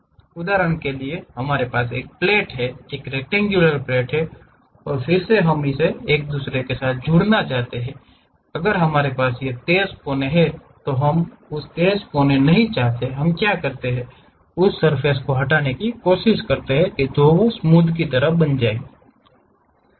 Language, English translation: Hindi, For example, we have a plate, a rectangular plate and again we want to join by another one, we have this sharp corners we do not want that sharp corners, what we do is we try to remove that surface make it something like smooth